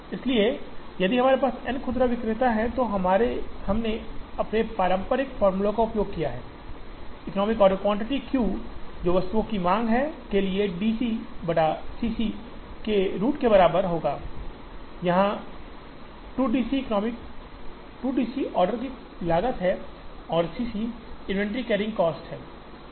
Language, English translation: Hindi, So, if we have n retailers, using our traditional formulae that we have used, the economic order quantity Q will be equal to root over 2 D C naught by C c, where this is the demand for the item, this is the order cost, this is the inventory carrying cost